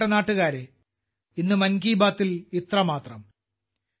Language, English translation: Malayalam, My dear countrymen, that's all with me today in 'Mann Ki Baat'